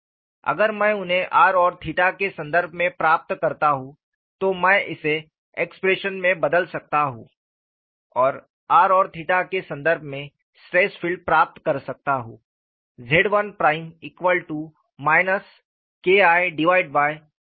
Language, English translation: Hindi, If I get them in terms of r and theta, I could substitute it in the expressions and get the stress field in terms of r and theta